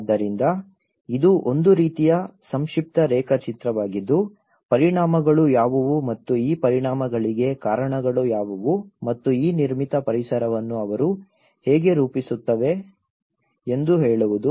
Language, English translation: Kannada, So this is a kind of brief diagram shows like saying that what are the impacts and what are the causes for these impacts and how they shape these built environments